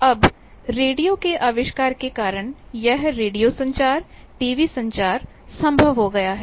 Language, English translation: Hindi, Now, due to invention of radio, this radio communication, TV communication; these became possible